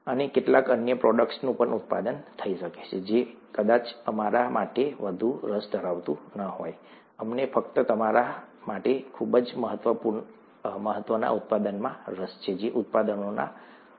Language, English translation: Gujarati, And may be some other products are also produced, which may not be of much interest to us, we’re interested only in the product of great importance to us, amongst the products that are present